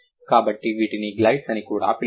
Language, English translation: Telugu, So, these would be known, these would also be known as glides